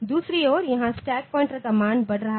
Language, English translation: Hindi, On the other hand here the stack pointer values are increasing